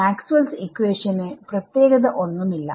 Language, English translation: Malayalam, Nothing special about Maxwell’s equations right